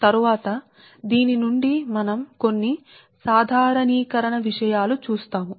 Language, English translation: Telugu, later from this one we will see some generalize thing right now